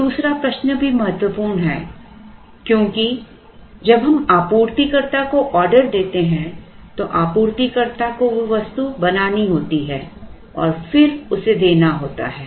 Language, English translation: Hindi, Now, the second question is also important because when we place an order to the supplier the supplier has to make that item and then give it